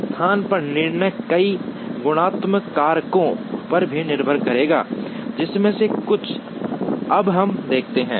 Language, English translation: Hindi, The decision on location would also depend on many qualitative factors, some of which we will see now